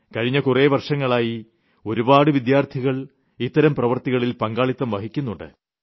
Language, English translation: Malayalam, For the past many years, several students have made their contributions to this project